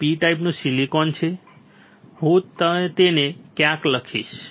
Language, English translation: Gujarati, This is P type silicon I will write it somewhere